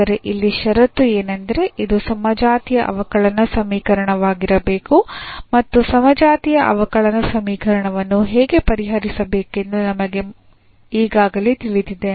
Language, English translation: Kannada, But, here the condition is this should be homogeneous differential equation and we already know how to solve the homogeneous differential equation